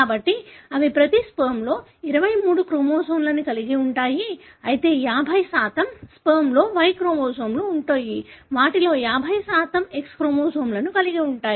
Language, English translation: Telugu, So, they will have 23 chromosomes in each sperm, but 50% of the sperm would carry Y chromosome, 50% of them would carry X chromosome